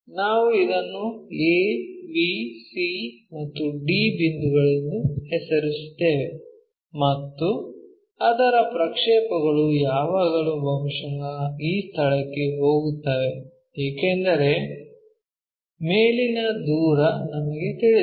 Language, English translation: Kannada, Name a, b, c, and d points, and its projection always be goes to perhaps this location let us call because we do not know in front and away